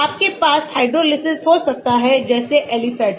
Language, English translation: Hindi, so you can have the hydrolysis like this aliphatic